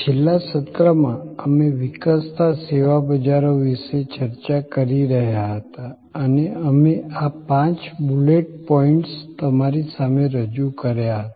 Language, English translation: Gujarati, In the last session, we were discussing about the evolving service markets and we presented these five bullet points to you